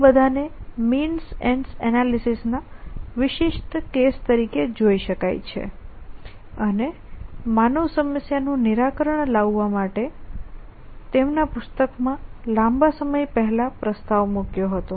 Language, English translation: Gujarati, So, all those can be seen as specific case is of means analysis and that was propose fight long time in their book for human problem solving